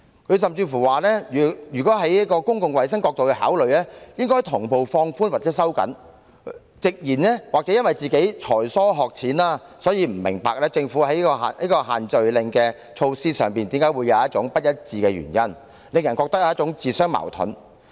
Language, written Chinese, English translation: Cantonese, 他甚至指出，若從公共衞生角度考慮，措施應同步放寬或收緊，並直言也許自己才疏學淺，所以不明白政府的限聚令措施為何會出現不一致，令人感到它在施政上自相矛盾。, He has pointed out that measures in this respect should be relaxed or tightened concurrently from the perspective of public health and has even frankly commented that perhaps he is not smart enough to understand the inconsistency in the Governments social gathering restrictions which has given people the impression that its implementation of policies is self - contradictory